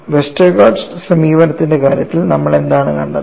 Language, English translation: Malayalam, In the case of Westergaard approach what we saw